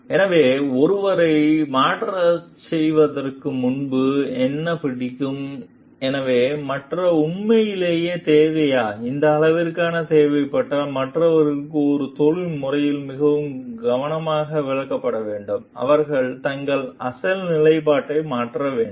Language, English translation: Tamil, So, what like before asking someone to change, so we should understand whether the change is truly required, and if required to what extent, and that needs to be explained very very carefully in a professional way to the others, who are required to change their original standpoint